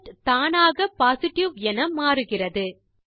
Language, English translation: Tamil, The result automatically changes to Positive